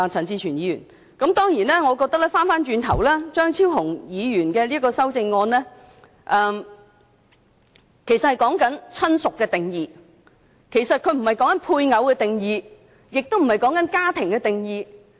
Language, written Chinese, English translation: Cantonese, 當然，話說回頭，我覺得張超雄議員的修正案其實只涉及"親屬"的定義，而不是"配偶"或"家庭"的定義。, Certainly then again I think Dr Fernando CHEUNGs amendment only involves the definition of relative not the definition of spouse or family